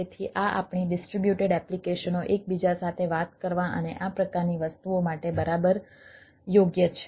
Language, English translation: Gujarati, so this this is exactly suited for our distributed applications talking to each other and type of things